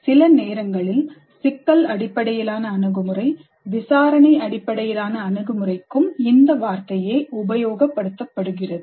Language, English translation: Tamil, Sometimes the term is used interchangeably with terms like problem based approach, inquiry based approach, and so on